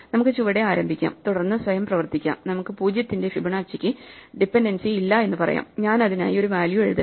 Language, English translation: Malayalam, So, we can start at the bottom, and then work ourselves up, we can say Fibonacci of 0, needs no dependencies, so let me write a value for it